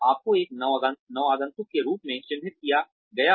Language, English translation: Hindi, You are labelled as a newcomer